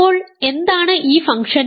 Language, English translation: Malayalam, So, what is this function